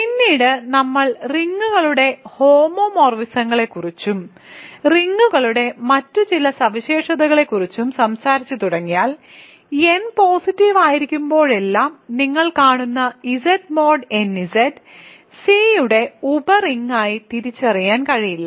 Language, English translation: Malayalam, And later on once we start talking about homomorphisms of rings and some other properties of rings, you will see that whenever n is positive Z mod n Z cannot be realized as a sub ring of C